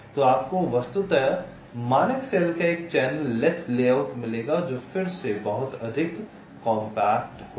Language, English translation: Hindi, so you will be getting a virtually a channel less layout of standard cell, which will be much more compact again